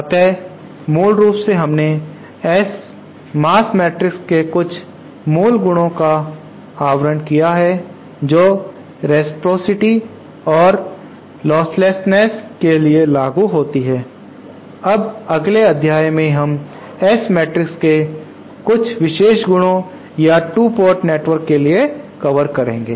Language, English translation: Hindi, So basically we have covered some of the basic properties of S mass matrix as applicable for reciprocity and listlessness in the next module we will be covering some property some special properties of the S matrices or for 2 port networks so